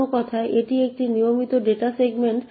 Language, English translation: Bengali, In other words, it is a regular data segment